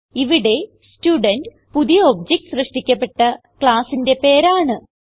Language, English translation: Malayalam, So here Student is the name of the class of the new object created